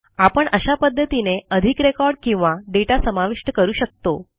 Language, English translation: Marathi, We can add more records or data in this way